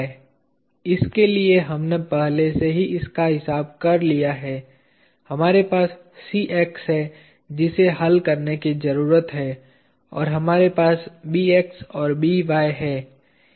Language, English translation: Hindi, For this we already accounted for this, we have Cx that that needs to be solved and we have Bx and By